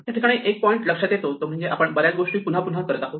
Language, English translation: Marathi, The point to note in this is that we are doing many things again and again